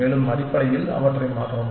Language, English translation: Tamil, And replace them essentially